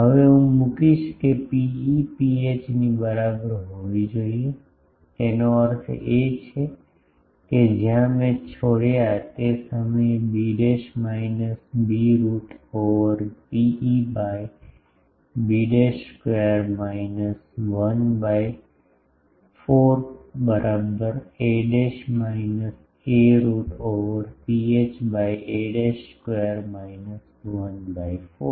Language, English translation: Gujarati, Now, I will put that P e should be equal to P h; that means, where I left that time b dash minus b root over rho e by b dash square minus 1 by 4 is equal to a dash minus a root over rho h by a dash square minus 1 4 ok